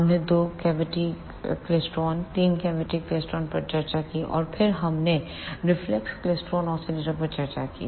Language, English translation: Hindi, We discussed two cavity klystron, three cavity klystron, and then we discussed reflex klystron ah oscillator